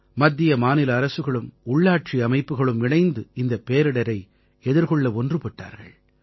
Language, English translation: Tamil, The Centre, State governments and local administration have come together to face this calamity